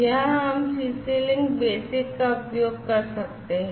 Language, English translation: Hindi, So, here we could have the CC link IE version being used